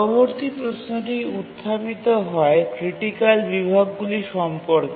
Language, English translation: Bengali, Now the next question that we would like to ask is that what are critical sections